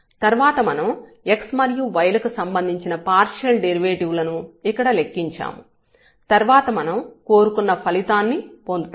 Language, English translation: Telugu, So, here when we take the partial derivative of this with respect to x so, what we will get here we have to differentiate